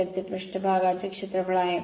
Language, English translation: Marathi, So, surface area right